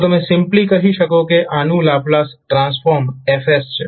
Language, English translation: Gujarati, So you will simply say that the Laplace transform of this is s